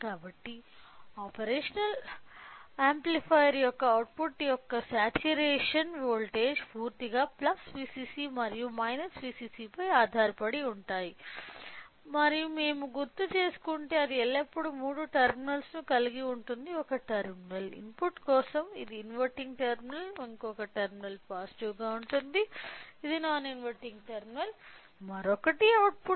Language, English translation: Telugu, So, that the saturation voltage of the output of the operational amplifier entirely depends upon what is a plus V cc and minus V cc and it will also contain as you remember if we recall it will always have a three terminals: one terminal is for the input which is the negative terminal which is nothing, but non inverting sorry inverting terminal, the other terminal is positive which is the non inverting terminal other one is an output